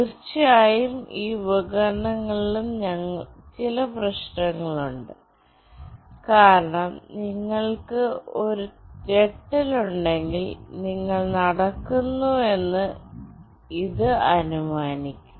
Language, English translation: Malayalam, Of course, there are some issues with these devices as well, because if you are just having a jerk, then also it will assume that you are walking